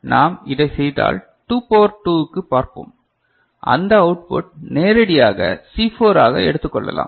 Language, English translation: Tamil, And if we do then what we shall see ,we shall see that 2 to the power 2 that output can be directly taken as C4